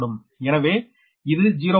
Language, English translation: Tamil, so this is just